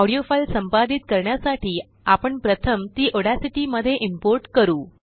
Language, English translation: Marathi, To edit an audio file, we need to first import it into Audacity